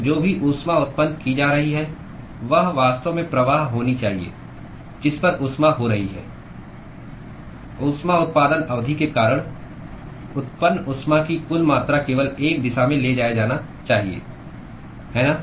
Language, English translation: Hindi, So, whatever heat that is being generated should actually be the flux at which the heat is being the total amount of heat that is generated because of the heat generation term must be transported only in one direction, right